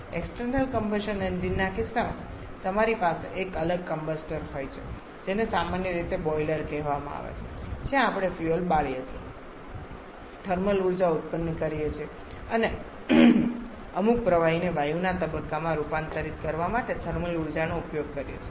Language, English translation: Gujarati, However in case of external combustion engine you have a separate combustor commonly called a boiler where we burned the fuel produces a thermal energy and then we use the thermal energy to convert certain liquid to gaseous stage